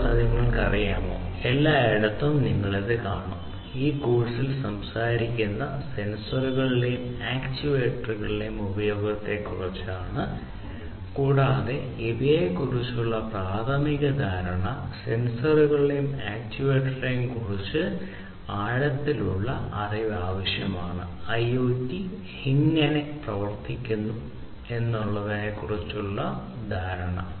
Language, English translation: Malayalam, And, you know, everywhere throughout you will see that in this course, we are talking about the use of sensors and actuators, and this preliminary understanding about each of these, the sensors and actuators, is necessary for you to have an in depth understanding about how IIoT works